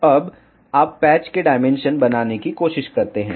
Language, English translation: Hindi, Now, you try to make the dimensions of patch